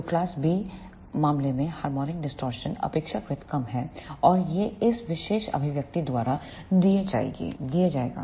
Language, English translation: Hindi, So, the harmonic distortion will be relatively less in case of class B amplifiers and this will be given by this particular expression